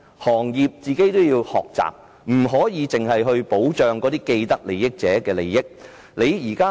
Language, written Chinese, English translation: Cantonese, 行業本身也要學習，不可只顧保障既得利益者的利益。, The industries have to learn that they cannot only protect the interests of those with vested interests